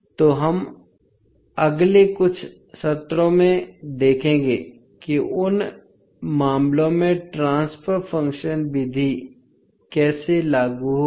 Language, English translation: Hindi, So, we will see in next few sessions that the, how will apply transfer function method in those cases